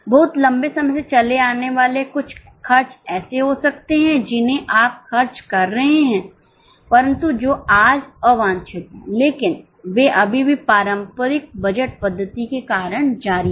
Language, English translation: Hindi, Over long period of time, you might be incurring certain expenses which are unwanted today, but they just continue because of the traditional budgeting method